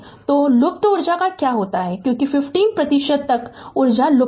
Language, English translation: Hindi, So, what happens to the missing energy because 50 percent is missing